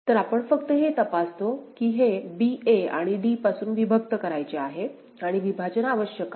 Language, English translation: Marathi, So, only thing what we examine that this b is to be separated from a and d and a partition is required